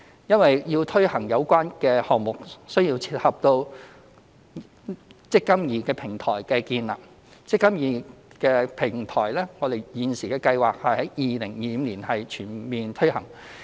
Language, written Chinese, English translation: Cantonese, 因為要推行這項目，需要配合建立"積金易"平台，而"積金易"平台現時計劃在2025年全面推行。, It is necessary to establish the eMPF Platform in order to implement this initiative . Currently it is planned that the eMPF Platform will be fully implemented in 2025